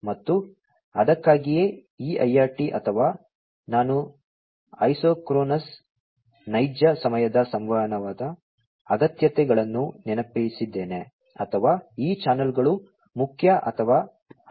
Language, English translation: Kannada, And, that is why this IRT or the; I soaked isochronous real time communication requirements or these channels are important and required